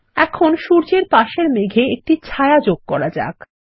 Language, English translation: Bengali, Now let us add a shadow to the cloud next to the Sun